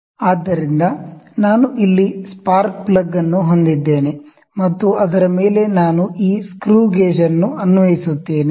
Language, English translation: Kannada, So, we can see I have a spark plug here on which I will apply this screw gauge